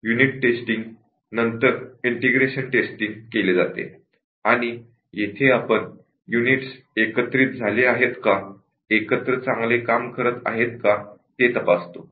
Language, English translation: Marathi, The integration testing is done after the unit testing and we check whether the units are integrating or they are working together well